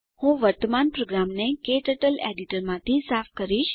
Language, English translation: Gujarati, I will clear the current program from KTurtle editor